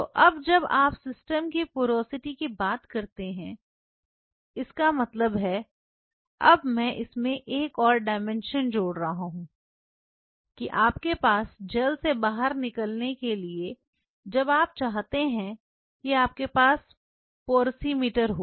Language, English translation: Hindi, So, now, when you talk of the porosity of the system; that means, now I am adding one more dimension to this you have to have porosimeter when you want you to make gel out of it